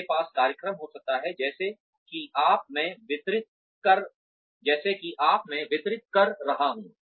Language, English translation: Hindi, You could have programs like the one, that I am delivering now